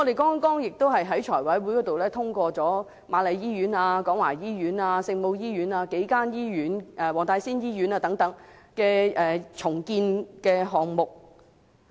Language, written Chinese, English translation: Cantonese, 剛剛在財務委員會上我們也通過瑪麗醫院、廣華醫院、聖母醫院、黃大仙醫院等數間醫院的重建項目。, The redevelopment projects of several hospitals including Queen Mary Hospital Kwong Wah Hospital Our Lady of Maryknoll Hospital and Wong Tai Sin Hospital have just been approved by us in the Finance Committee